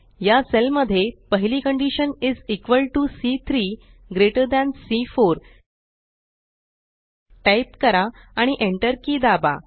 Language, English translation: Marathi, In this cell, type the first condition as is equal to C3 greater than C4 and press the Enter key